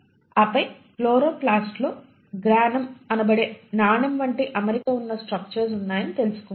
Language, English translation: Telugu, And then you find that this chloroplast has this arrangement of coin like structures which are called as the Granum